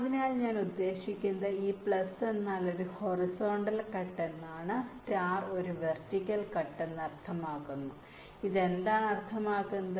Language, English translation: Malayalam, so what i mean is that this plus means a horizontal cut and the star means a vertical cut